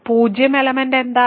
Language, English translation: Malayalam, What is the zero element